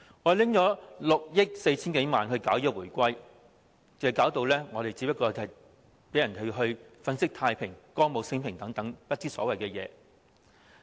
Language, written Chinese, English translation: Cantonese, 我們花費6億 4,000 多萬元舉辦慶回歸活動，令人感覺只是粉飾太平、歌舞昇平、不知所謂。, The spending of some 640 million on organizing activities for celebrating the reunification makes us feel that it is only window dressing staging a show of peace and prosperity which is meaningless